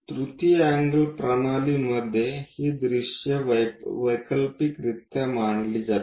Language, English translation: Marathi, In the third angle system, these views will be alternatively arranged